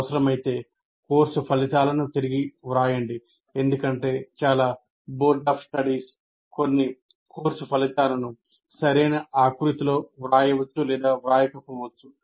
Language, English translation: Telugu, Rewrite if necessary the course outcomes because some of the most of the universities, their boards of studies write some course outcomes, they may or may not be written in a good format